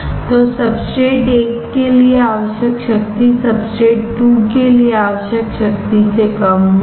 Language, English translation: Hindi, So, power required for substrate 1 will be less than power required to substrate 2